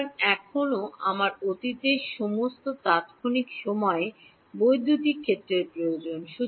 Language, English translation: Bengali, So, far I still need electric field at all past time instants